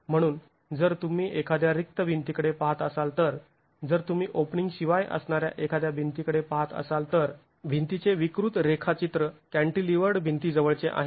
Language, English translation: Marathi, So, if you are looking at a blank wall, if you are looking at a wall without openings, the deform profile of the wall is closer to a cantilevered wall